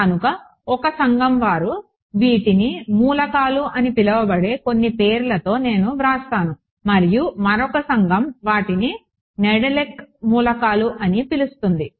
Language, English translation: Telugu, So, I will just write down some of names they are to called Whitney elements by one community and another community calls them Nedelec elements